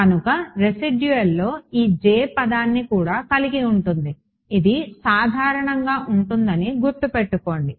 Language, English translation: Telugu, So, right so the residual will also include this J term just to keep in mind that in general it should be there